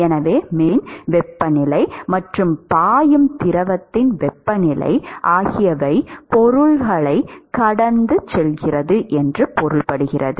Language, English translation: Tamil, So, the temperature of the surface and the temperature of the fluid which is flowing pass the object, these two are measurable quantities